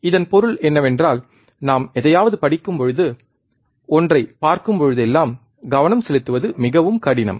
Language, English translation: Tamil, the point of this is whenever we look at something we read at something, it is very hard to concentrate